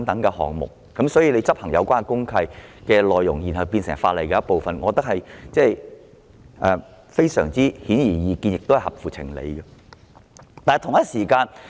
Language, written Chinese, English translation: Cantonese, 因此，將履行公契的要求納入成為法例的一部分，我認為這是顯而易見合情合理的做法。, Therefore I think that it is obviously sensible and reasonable to include the requirement of complying with a DMC as part of the law